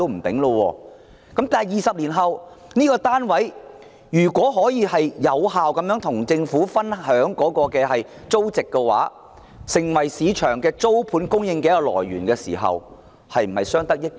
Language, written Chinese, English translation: Cantonese, 不過，在20年後，業主如果能有效地與政府分享租金收入，令有關單位成為市場上租盤的供應來源，是否相得益彰？, Yet would it be mutually beneficial if the owners can share their rental incomes with the Government effectively after 20 years rendering the relevant flats the source of supply in the rental market?